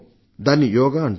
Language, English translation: Telugu, Some people also call it Yoga